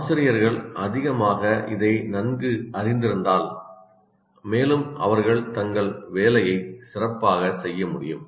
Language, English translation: Tamil, The more you are familiar with this, the more the teacher can perform his job better